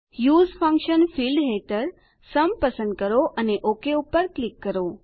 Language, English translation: Gujarati, Under the Use function field ,lets choose Sum and click OK